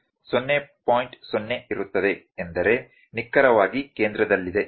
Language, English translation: Kannada, 0 means exactly at centre